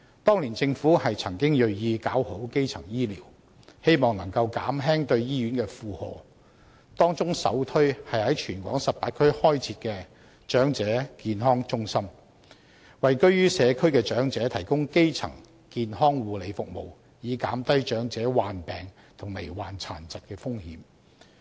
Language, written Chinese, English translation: Cantonese, 當年政府曾銳意搞好基層醫療，希望能夠減輕對醫院的負荷，當中首推是在全港18區開設長者健康中心，為居於社區的長者提供基層健康護理服務，以減低長者患病和罹患殘疾的風險。, Back then the Government was determined to improve primary health care in the hope of alleviating the burden on hospitals . The most noteworthy measure of all was the setting up of Elderly Health Centres in the 18 districts over the territory to provide elderly people with primary health care services in communities so as to reduce their risk of contracting illnesses and disabilities